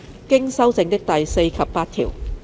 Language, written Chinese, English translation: Cantonese, 經修正的第4及8條。, Clauses 4 and 8 as amended